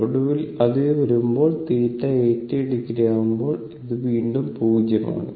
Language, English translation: Malayalam, And finally, when it will come theta is 80 degree again it is 0